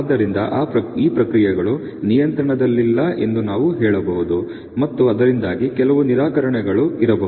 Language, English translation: Kannada, And therefore, we can say that these processes are out of control that may be some rejections because of that